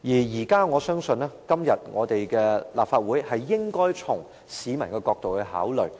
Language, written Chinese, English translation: Cantonese, 在這問題上，我認為立法會應該從市民的角度考慮。, I think the Legislative Council should consider the matter from the publics point of view